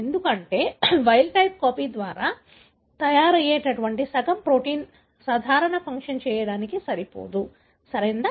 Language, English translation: Telugu, Because the, half the amount of protein that is made by the wild type copy is not good enough for doing a normal function, right